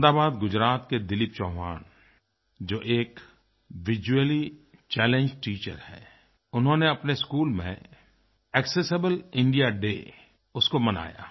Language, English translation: Hindi, Dilip Chauhan, from Ahmedabad, Gujarat, who is a visually challenged teacher, celebrated 'Accessible India Day' in his school